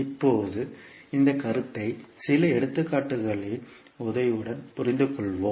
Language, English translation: Tamil, Now, let us understand this concept with the help of few examples